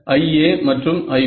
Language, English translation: Tamil, I A and I B